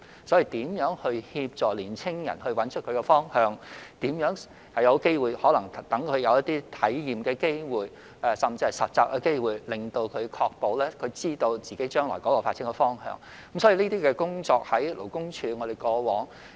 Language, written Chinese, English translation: Cantonese, 因此，若要協助年青人找到方向，就要讓他們有體驗或實習的機會，確保他們知道自己將來的發展方向，勞工處在過往也有進行這些工作。, Hence if we want to help young people to find their direction we have to give them experiential and internship opportunities to ensure that they know their direction for future development . LD has carried out work in this aspect in the past